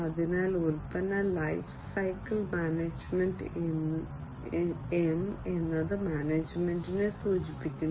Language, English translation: Malayalam, So, product lifecycle management, M stands for management